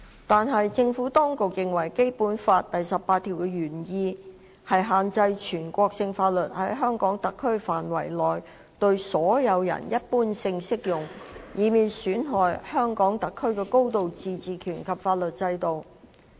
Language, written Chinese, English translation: Cantonese, 但是，政府當局認為《基本法》第十八條的原意，是要限制全國性法律在香港特區範圍內對所有人一般性適用，以免損害香港特區的高度自治權及法律制度。, However the Administration considers that the intent of Article 18 of the Basic Law is to restrict the general application of national laws to all persons within HKSAR in order not to undermine the high degree of autonomy and the legal system of HKSAR